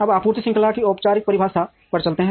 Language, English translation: Hindi, Now, let us move to formal definition of supply chain